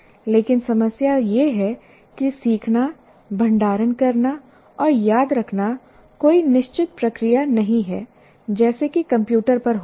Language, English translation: Hindi, But the problem is letting, storing and remembering are not fixed processes like they happen in the computer